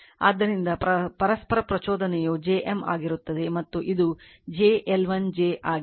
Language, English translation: Kannada, So, mutual inductance will be j omega M and this is j omega L 1 j omega L 2 right